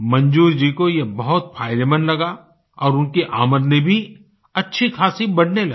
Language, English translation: Hindi, Manzoor Ji found this to be extremely profitable and his income grew considerably at the same time